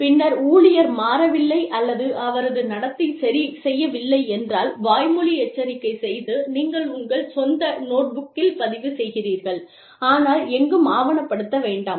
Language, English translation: Tamil, And then, if the employee does not change, or does not correct, his or her behavior, then you move on to a verbal warning, that you record in your own notebook, but do not document anywhere